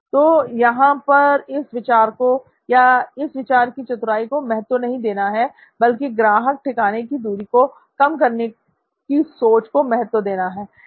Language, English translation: Hindi, So here the stress is not on the idea or the cleverness of the idea but the approach in moving this far distance from customer location to near distance from customer location